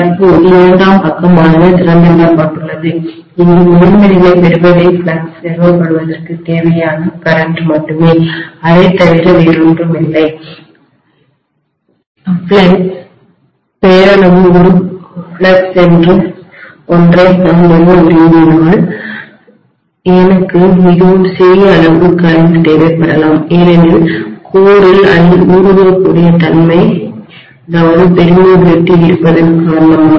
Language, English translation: Tamil, Currently the secondary side is left open and what is drawn by the primary here is only the current that is required to establish the flux, nothing more than that, if I want to establish a flux which is a nominal flux, I might require a very very small amount of current because of the fact that the core is having high permeability, right